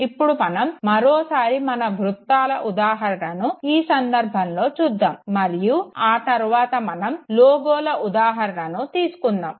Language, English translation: Telugu, Once again we will continue with the example of circles and then again take an example of a logo